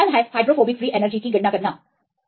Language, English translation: Hindi, So, you can calculate the hydrophobic free energy